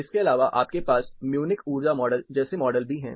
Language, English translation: Hindi, Apart from this, you also have models like Munich energy model